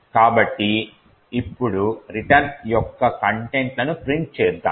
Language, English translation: Telugu, So, let us now print the contents of the return